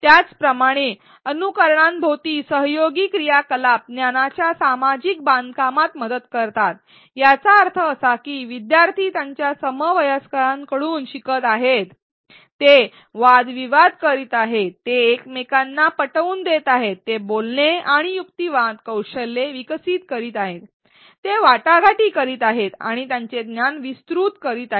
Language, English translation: Marathi, Similarly, collaborative activities around simulations help in social construction of knowledge; that means, learners students are learning from their peers; they are debating, they are convincing each other, they are developing articulation and argumentation skills, they are negotiating broadening their knowledge